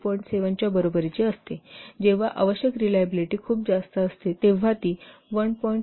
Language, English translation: Marathi, 7 when it is very low, when the required reliability is very high, it should be 1